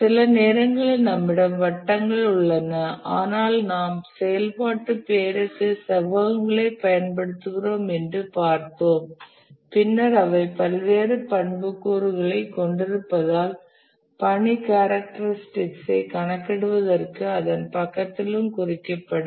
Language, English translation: Tamil, Sometimes we have circles, but then we said that we will use rectangles for activity name and then we will have various attributes that will also be indicated alongside this for our computation of the task characteristics